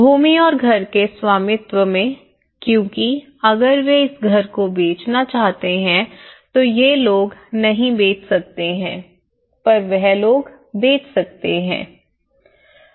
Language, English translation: Hindi, And the ownership part of the land and the house because if they want to sell this house now these people cannot sell but these people can sell